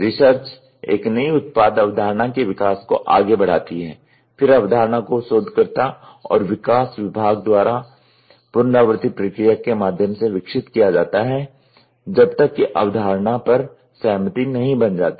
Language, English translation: Hindi, The research proceeds the development of a new product concept, then the concept are developed by the researcher and development department through an iterative process until and agreed upon concept is formed